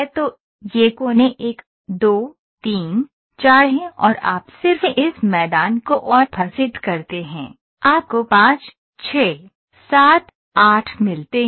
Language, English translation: Hindi, So, here the edges are these are the vertices 1, 2, 3, 4 and you just offset this plain, you get 5, 6, 7, 8 ok